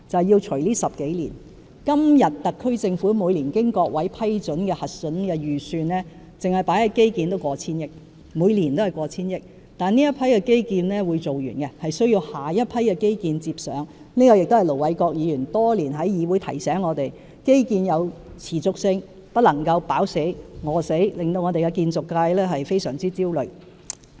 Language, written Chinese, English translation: Cantonese, 現時，特區政府每年經各位議員批准、核准的預算，單是投放於基建的數額已過千億元，每一年都過千億元，但這批基建是會完工的，有需要由下一批基建接上，這亦是盧偉國議員多年來在議會內提醒我們的一點，就是基建要有持續性，不能一時"飽死"、一時"餓死"，致令本港建造界感到非常焦慮。, At present the amount of funding for infrastructure projects proposed by the SAR Government and approved by Honourable Members exceeds 100 billion per annum . Over 100 billion is allocated for infrastructure projects every year yet these projects will finish and another batch of infrastructure projects have to be launched for sustainability . As Ir Dr LO Wai - kwok has reminded us in the legislature over the years we should maintain the sustainability of infrastructure projects and avoid the extremes of launching an excessive number of projects at one time and none at the other as such an approach will arouse acute anxiety in the local construction sector